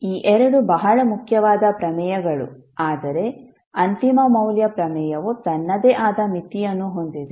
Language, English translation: Kannada, So these two are very important theorems but the final value theorem has its own limitation